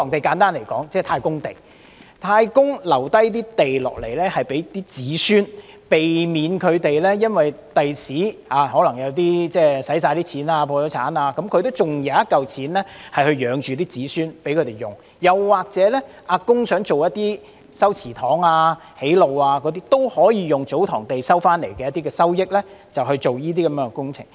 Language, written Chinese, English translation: Cantonese, 簡單而言，祖堂地即太公地，是太公遺留給子孫的土地，即使子孫日後可能花光了錢、破產，他還有一筆錢養活子孫，供他們使用；又或當"阿公"想修葺祠堂或築路時，也可以使用從祖堂地收取所得的收益進行這些工程。, Simply put TsoTong lands are ancestral land that is the land bequeathed by an ancestor to his descendants . Even if the descendants go broke or bankrupt in the future they can still support themselves with the money generated from the land . When there is a need to renovate the ancestral hall or conduct road works the costs can be paid from the money generated by the TsoTong lands